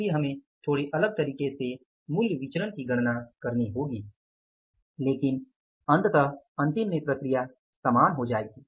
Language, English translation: Hindi, So, we will have to calculate the material price variance little differently but ultimately the process will means at the end will become same